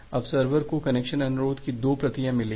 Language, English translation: Hindi, That well now the server has received 2 copies of the connection request